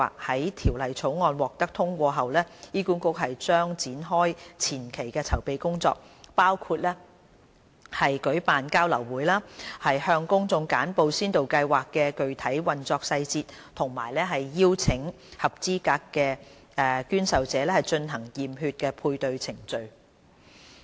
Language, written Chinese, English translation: Cantonese, 在《條例草案》獲得通過後，醫管局將展開前期的籌備工作，包括舉辦交流會，向公眾簡報先導計劃的具體運作細節和邀請合資格的捐受者進行驗血配對的程序。, After the passage of the Bill HA will carry out preliminary preparatory work including the organization of sharing session to brief members of the public the specific operation details of the pilot Programme and invite eligible donors and recipients to participate in blood test procedure for pairing